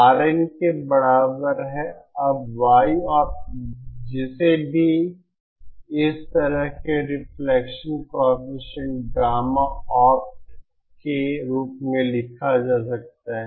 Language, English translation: Hindi, RN is equal to now this small Y opt can also be written in terms of the reflection coefficient gamma opt like this